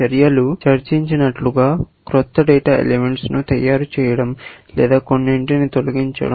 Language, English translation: Telugu, The actions were, as we discussed earlier; either, making new data elements or deleting some